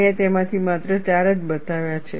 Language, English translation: Gujarati, I have shown only four of them